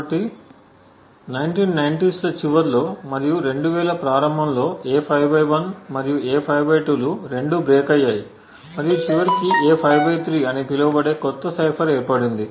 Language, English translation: Telugu, So, this was in the late 90’s and early 2000’s where both A5/1 and A5/2 were actually broken and it eventually resulted in a new cipher known as the A5/3 that was designed